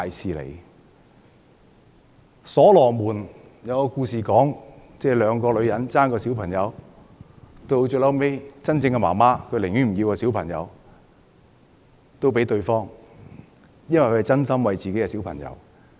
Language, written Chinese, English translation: Cantonese, 在所羅門的故事中，兩個女人爭奪一個孩子，孩子的母親最終寧願放棄孩子讓給對方，原因是她是真心為自己的孩子。, In the story of King Solomon two women fought for a baby . The mother of the baby eventually decided to give up and let the other woman have the baby because she genuinely wished for the good of the baby